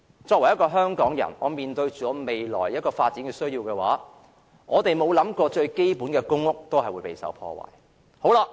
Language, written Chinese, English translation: Cantonese, 作為香港人，面對未來的發展需要，我們沒有想過最基本的公屋權利都會遭受破壞。, Given our future development needs we as Hong Kong people have never thought that even our most basic right to public housing will be undermined